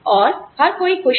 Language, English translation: Hindi, And, everybody is happy